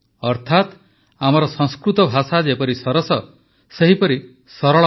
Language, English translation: Odia, That is, our Sanskrit language is sweet and also simple